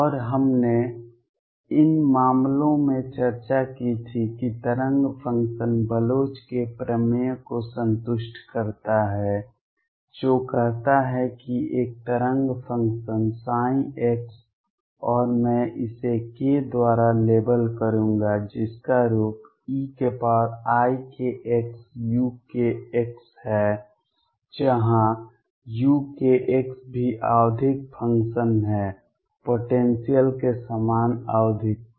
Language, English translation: Hindi, And what we discussed was in these cases the wave function satisfies Bloch’s theorem that says that a wave function psi x and I will label it by k has the form e raised to i k x u k x where u k x is also periodic function, the same periodicity as the potential